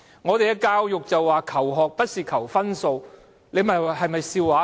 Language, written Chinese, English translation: Cantonese, 本港的教育提倡"求學不是求分數"，這是否笑話呢？, The education in Hong Kong promotes the idea of Learning Its more than scoring . What a joke